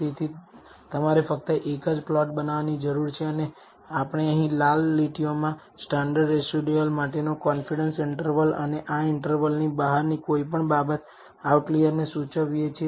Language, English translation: Gujarati, So, you need to generate only one plot and we have also shown here the, in red lines, the confidence interval for the standardized residuals and anything above this outside of this interval indicates outliers